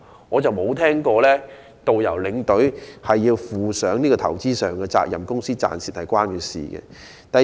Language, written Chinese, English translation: Cantonese, 我未曾聽聞導遊和領隊要負上投資上的責任，又或公司的生意盈虧與他們有關。, I have never heard that tourist guides and tour escorts are required to shoulder investment responsibility or that they will have anything to do with the profits or losses of the business